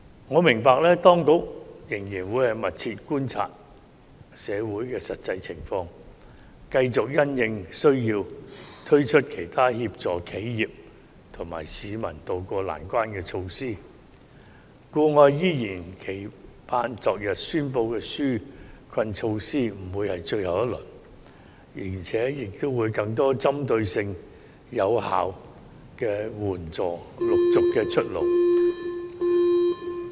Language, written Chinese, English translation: Cantonese, 我明白當局會密切觀察社會的實際情況，繼續因應需要推出其他協助企業和市民渡過難關的措施，故我期望昨天宣布的紓困措施不會是最後一輪，並且會有更多具針對性、有效的援助措施陸續出爐。, I understand that the Administration will closely monitor the actual situation in society and continue to introduce other measures in a bid to help enterprises and citizens tide over the difficulties where necessary . Hence I expect that the relief measures announced yesterday are not the last round and that more targeted and effective support measures will be introduced gradually